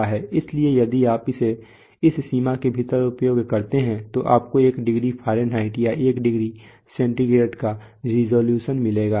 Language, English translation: Hindi, So if you use it within this range then you will get a resolution of one degree Fahrenheit or one degree centigrade